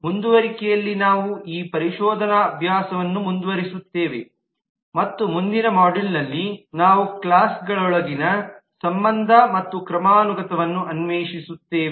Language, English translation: Kannada, in continuation we will continue this exploratory exercise and in the next module we will explore the relation and hierarchy within the classes